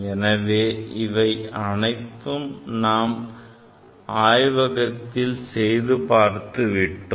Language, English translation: Tamil, So, all these things we are able to demonstrate in a laboratory